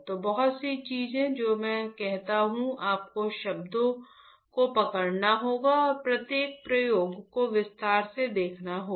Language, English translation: Hindi, So, a lot of things that I say you have to catch up the words and go and see in detail each experiment